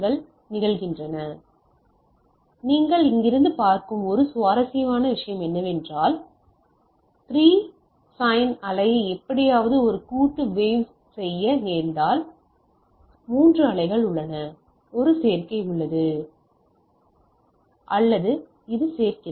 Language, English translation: Tamil, Now one interesting thing you see from here, so if I some way add this 3 sine wave to make a composite wave right, I have 3 waves, I have a adder or which adds